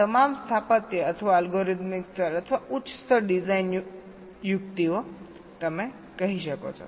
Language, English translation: Gujarati, ok, these are all architectural, or algorithmic level, you can say, or higher level design techniques